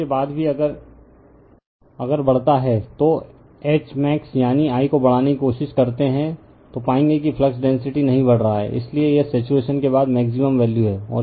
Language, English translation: Hindi, So, after that even if you increase your you try to increase H max that is I, you will find that flux density is not increasing, so this is the maximum value after saturation right